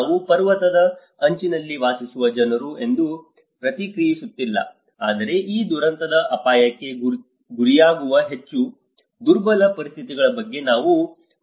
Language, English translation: Kannada, Edge here I am not responding that people living on the mountainous edge but I am talking about the more vulnerable conditions who are prone to these disaster risk